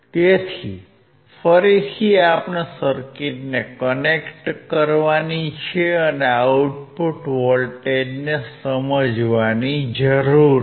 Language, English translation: Gujarati, So, again we need to connect the circuit and understand the output voltage